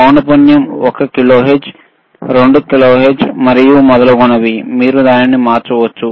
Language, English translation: Telugu, The frequency is how much is one kilohertz, 2 kilohertz and so on and so forth, you can change it